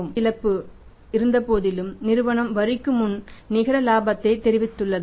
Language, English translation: Tamil, Despite having the gross loss from operations the firm is reporting net profit before tax